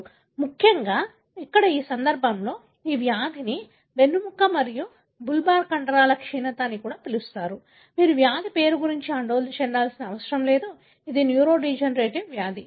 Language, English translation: Telugu, Especially here in this case, this disease is called as spinal and bulbar muscular atrophy; you do not need to worry about the disease name, but what is,that it is a neurodegenerative disease